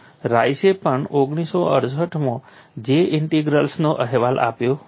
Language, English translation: Gujarati, This was in the year 1968 even Rice reported J integral in 1968